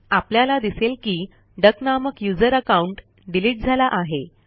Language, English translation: Marathi, We will find that, the user account duck has been deleted